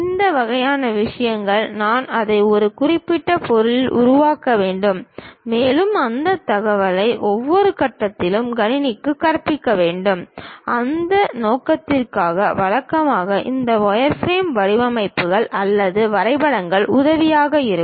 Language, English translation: Tamil, This kind of things, I have to make it on certain object; and, those information we have to teach it to the computer at every each and every point and for that purpose, usually this wireframe designs or drawings will be helpful